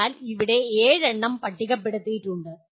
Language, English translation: Malayalam, So there are seven that are listed here